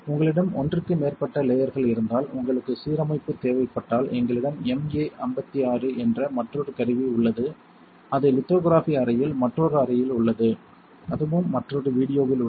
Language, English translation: Tamil, If you have more than one layer and you need alignment we have tool another tool called the MA56 it is in another room in the lithography room and that is also covered in another video